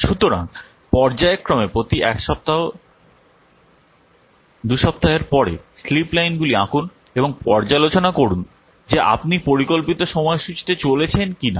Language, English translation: Bengali, So, periodically after everyone to draw the what slip lines and observe whether you are moving into the planned schedule or not